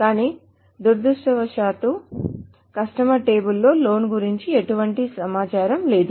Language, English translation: Telugu, But unfortunately the customer table by itself does not contain any information about the loan